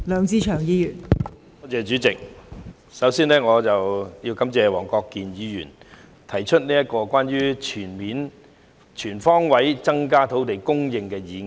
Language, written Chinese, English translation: Cantonese, 代理主席，我首先要感謝黃國健議員提出"全方位增加土地供應"議案。, Deputy President I would first like to thank Mr WONG Kwok - kin for proposing the motion on Increasing land supply on all fronts